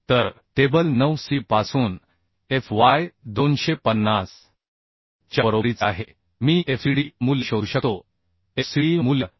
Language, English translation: Marathi, 2 so and fy is equal to 250 from from table 9c I can find out fcd value fcd value will become 83